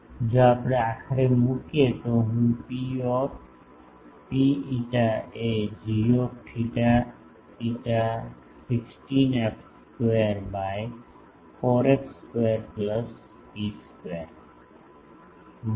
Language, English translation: Gujarati, If we put finally, I can write P rho phi is g theta phi 16 f square by 4 f square plus rho square